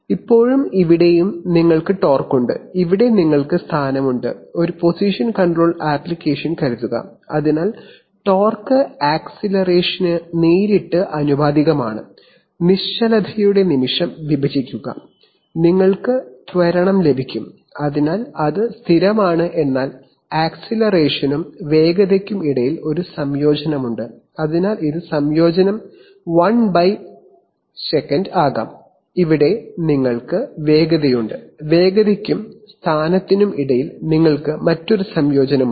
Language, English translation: Malayalam, Now and the, so here you have torque and here you have position, suppose a position control application, so between and so from, torque is directly proportional to acceleration, just divide moment of inertia, you will get acceleration, so that is constant but between acceleration and velocity there is one integration, so this could be integration 1/s and here you have velocity, again between velocity and position you have another integration